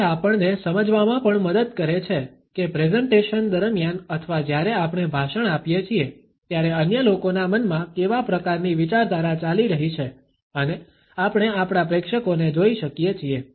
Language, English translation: Gujarati, It also helps us to understand, what type of thought patterns are going on in the minds of other people, during a presentation or while we are delivering a speech and we are able to look at our audience